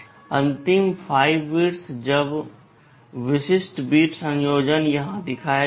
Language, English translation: Hindi, The last 5 bits, now the specific bit combinations are shown here